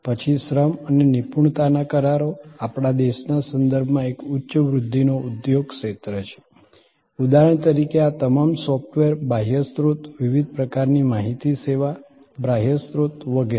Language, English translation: Gujarati, Then, labor and expertise contracts highly, a high growth industry area in the context of our country, for example, all these software outsourcing, different kind of knowledge service outsourcing and so on